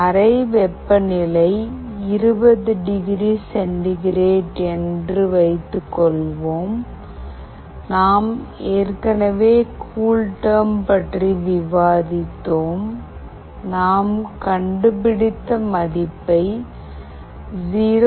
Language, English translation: Tamil, Suppose, the room temperature is 20 degree centigrade, we have already discussed about CoolTerm; suppose we find the value as 0